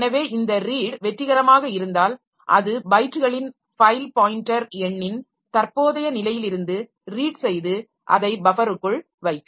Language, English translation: Tamil, So, if this read is successful it will read from the current position of this file pointer number of bytes and put it into the buffer